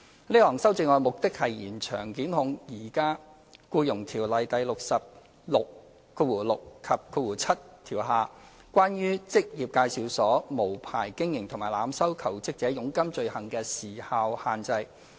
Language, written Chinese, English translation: Cantonese, 這項修正案的目的是延長檢控在現行《僱傭條例》第606及7條下，關於職業介紹所無牌經營和濫收求職者佣金罪行的時效限制。, The purpose of the amendment is to extend the time limit for prosecution of offences of unlicensed operation of employment agencies and overcharging of commission from jobseekers by employment agencies under section 606 and 7 of EO